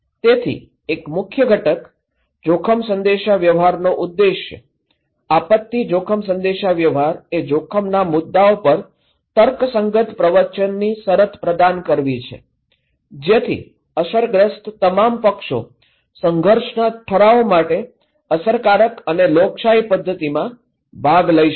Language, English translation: Gujarati, So, one of the key component, objective of risk communication, disaster risk communication is to provide a condition of rational discourse on risk issues, so that all affected parties okay they can take part in an effective and democratic manner for conflict resolutions